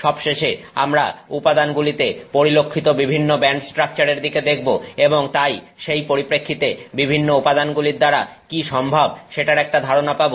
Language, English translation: Bengali, We will finally also look at different band structures that are observed in materials and therefore in that context get a sense of what is possible with various materials